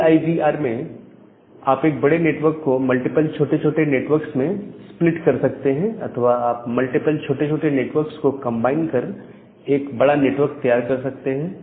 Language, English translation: Hindi, Now, the idea of CIDR is that you can split a large network into multiple small networks or you can combine multiple small networks together to have a larger network